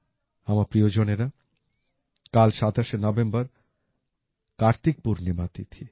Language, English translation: Bengali, My family members, tomorrow the 27th of November, is the festival of KartikPurnima